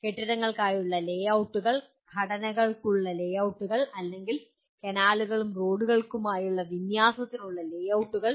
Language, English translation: Malayalam, Layouts for buildings, layouts for structures or layouts for alignments for canals and roads